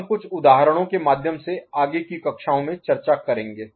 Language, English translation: Hindi, So, all those examples we shall take up in subsequent future classes